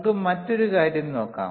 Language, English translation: Malayalam, Let us see another thing